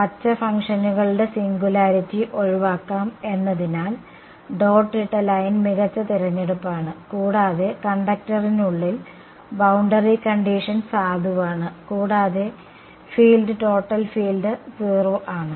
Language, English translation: Malayalam, Dotted line is a better choice because singularity of green functions can be avoided right, and the boundary condition is valid inside the conductor also field total field is 0 right